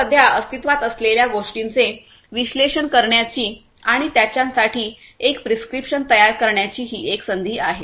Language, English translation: Marathi, So, this is an opportunity for us to analyze what is existing and preparing a prescription for them, right